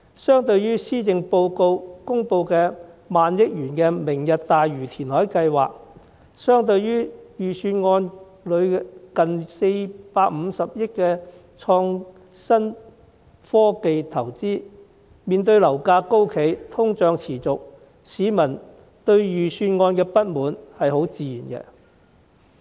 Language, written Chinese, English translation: Cantonese, 施政報告公布萬億元"明日大嶼"填海計劃，預算案提出近450億元的創新科技投資，市民面對樓價高企，通脹持續，對預算案有不滿是很自然的。, As the Policy Address has announced the Lantau Tomorrow reclamation project that may cost as much as 1 trillion and the Budget proposes spending 45 billion on investing in innovation and technology members of the public are naturally dissatisfied with the Budget when they face high property prices and ongoing inflation